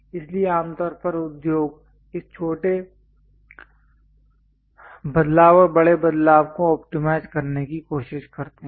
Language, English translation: Hindi, So, usually industries try to optimize this small variation and large variation